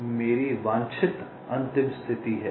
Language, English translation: Hindi, so this is my desired final state